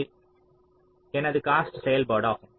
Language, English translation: Tamil, this is my cost function